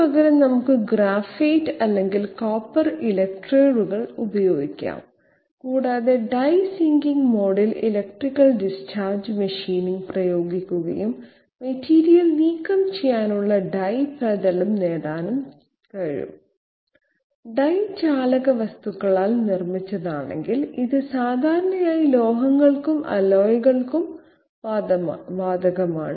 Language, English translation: Malayalam, Instead of that, we can have graphite or copper electrodes and we can apply electrical discharge machining in the die sinking mode to remove material and get the die surface I mean die shape provided the die is made of conductive material, which is most commonly so for metals and alloys